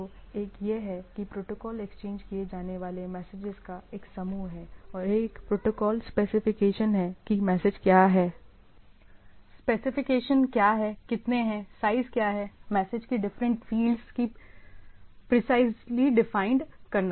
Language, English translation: Hindi, So, the one is that protocol is a set of messages to be exchanged and there is a protocol specification that the what message, what is the specification, how many, what is the size, what are the different fields of the message those are precisely defined